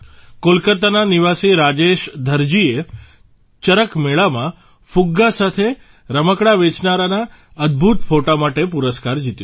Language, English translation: Gujarati, Rajesh Dharji, resident of Kolkata, won the award for his amazing photo of a balloon and toy seller at CharakMela